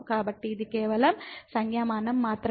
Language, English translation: Telugu, So, this is just the notation